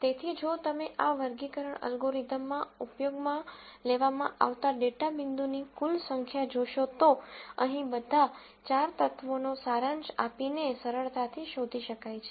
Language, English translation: Gujarati, So, if you notice the total number of data points that were used in this classification algorithm can be easily found out by summing all the four elements here